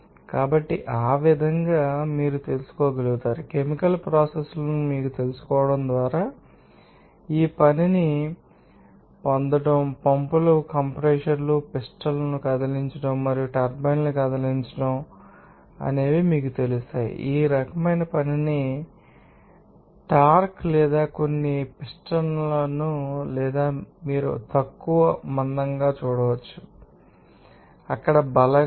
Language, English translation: Telugu, So, in that way you can you know, get this work for you know chemical processes just by you know pumps compressors moving pistons and moving turbines and also you can you know get this type of work based on that you know, applied force as a torque or some pistons or you can see less thick, you know, forces there